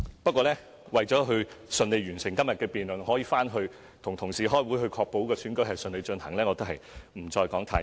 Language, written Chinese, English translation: Cantonese, 不過，為順利完成今日的辯論，讓我可以返回辦公室與同事開會確保選舉順利進行，故此我也不多說了。, Nevertheless in order to finish todays debate so that I can go back to my office to meet with my colleagues to ensure the smooth conduct of the election I will not say anymore